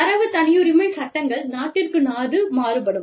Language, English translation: Tamil, And, the data privacy laws, could vary from, country to country